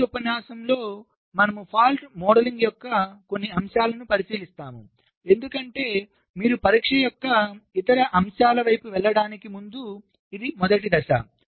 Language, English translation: Telugu, in the next lecture we shall be looking into some aspects of fault modeling, because that is the first step before you can proceed towards the other aspects of testing